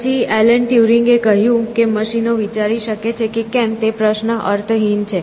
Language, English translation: Gujarati, Then, Alan Turing, and he said that the question whether machines can think is meaningless